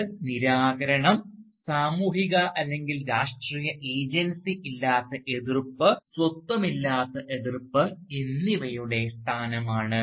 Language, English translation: Malayalam, It is a position of disempowerment, opposition without social or political agency, opposition without identity